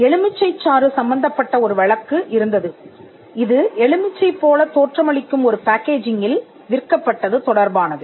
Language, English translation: Tamil, There was a case involving a lemon juice which was sold in a packaging that look like a lemon